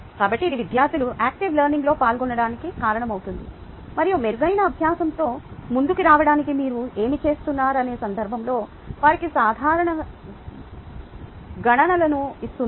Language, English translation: Telugu, ok, so this causes ah the students to participate in the process of learning and give them simple calculations in the context of whatever you are doing to come up with, ah, better learning